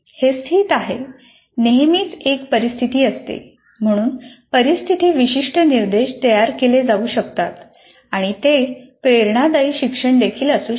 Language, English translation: Marathi, That is a situation specific instruction can be created and it can also be inspirational to learn